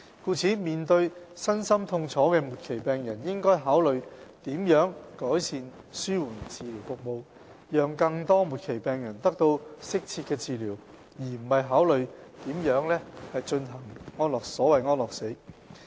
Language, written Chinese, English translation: Cantonese, 故此，面對身心痛楚的末期病人，應該考慮如何改善紓緩治療服務，讓更多末期病人得到適切的治療，而不是考慮如何進行所謂"安樂死"。, We should therefore look for ways to improve our palliative care services for terminally ill patients who are in both physical and mental pain so that more of them can receive suitable treatment instead of considering how to implement the so - called euthanasia